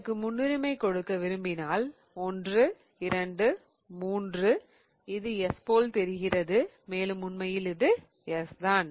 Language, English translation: Tamil, So, this one looks like 1, 2, 3 and it is in R and it is in fact R